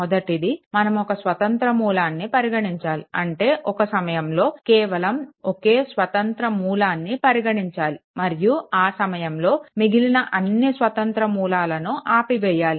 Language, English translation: Telugu, One thing is you consider one independent source that is your you consider one independent source at a time right one only one independent source at a time and all other independent sources are turned off right